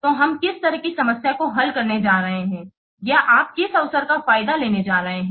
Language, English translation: Hindi, So, what kind of problem we are going to solve or what opportunity you are going to exploit